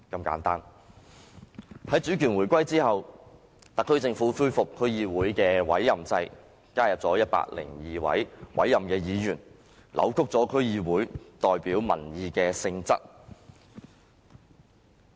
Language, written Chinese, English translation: Cantonese, 在主權回歸後，特區政府恢復區議會的委任制，加入102位委任議員，扭曲區議會代表民意的性質。, After the resumption of sovereignty the SAR Government restored the appointment system of DCs to add 102 appointed seats distorting the nature of DCs as representatives of public opinion